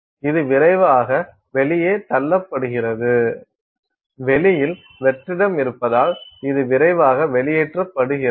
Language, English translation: Tamil, So, it is being pushed out rapidly, it is also being sucked out rapidly because there is vacuum on the outside